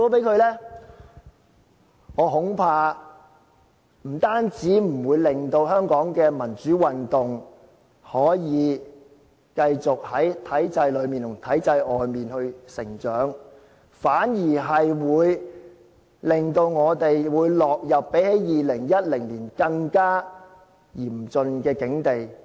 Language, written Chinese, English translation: Cantonese, 那麼，我恐怕，不單不會令香港的民主運動繼續在體制裏面和外面成長，反而令我們落入比2010年更加嚴峻的境地。, In that case I am afraid that there will be no progress for our democratization campaign inside and outside of the system and not only this we will even be plunged into a predicament much more acute than the one in 2010